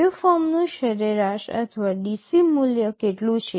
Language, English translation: Gujarati, What is the average or DC value of the waveform